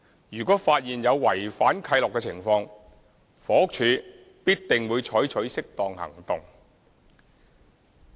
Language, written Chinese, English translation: Cantonese, 如果發現有違反契諾的情況，房屋署必定會採取適當行動。, In case of any breaches of covenants the Housing Department will take appropriate follow - up actions